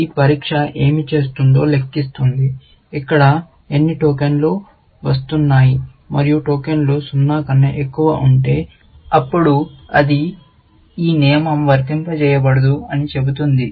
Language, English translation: Telugu, What this test is doing is counting, how many tokens are coming here, and if the tokens is greater than 0, then it will say, no, this rule cannot fire